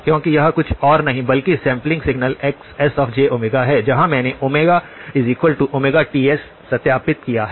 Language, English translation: Hindi, Because this is nothing but the sampled signal Xs of j omega where I have substituted omega equal to omega by Ts